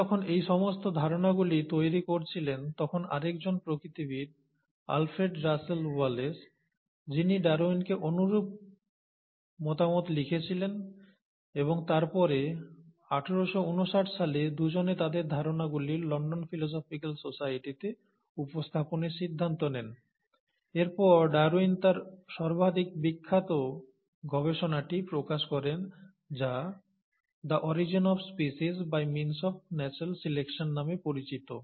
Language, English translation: Bengali, So while he was formulating all these ideas, there was another naturalist, Alfred Russell Wallace, who wrote to Darwin bit similar ideas and the two of them then decided to present their ideas to the London Philosophical Society in eighteen fifty nine, and eventually Darwin published his most famous work, which is called as ‘The origin of species by means of natural selection’